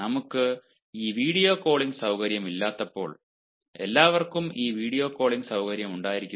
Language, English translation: Malayalam, when we didnt have this video calling facility, moreover, can everybody has this video calling facility